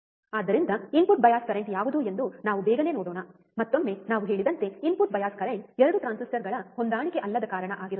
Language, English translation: Kannada, So, let us quickly see what is what is the input bias current, once again input bias current like we say is due to non matching of 2 transistors